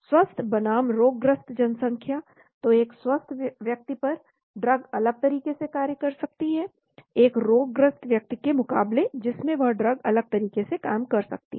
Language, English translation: Hindi, Healthy versus diseased population, so on a healthy person, the drug may act differently as against the person who is diseased the drug may act differently